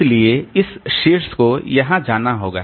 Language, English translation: Hindi, So, this top has to go here